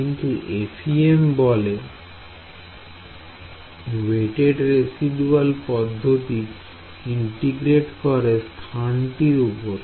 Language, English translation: Bengali, So, instead FEM says weighted residual method integrate over domain